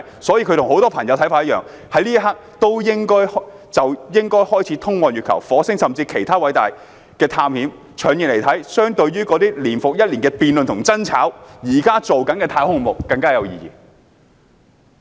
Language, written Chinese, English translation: Cantonese, 所以，我與很多朋友的看法一樣，此刻應該開始通往月球、火星甚至其他行星的偉大探險。從長遠來看，相對於那些年復一年的辯論和爭吵，現時進行的太空項目更有意義。, However I believe like many of my friends that travelling to the Moon and eventually to Mars and to other planets is a venture which we should undertake now and the ongoing project in the long run will be more meaningful than those debated and discussed year after year